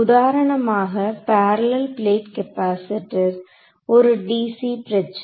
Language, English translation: Tamil, So, for example, parallel plate capacitor, a dc problem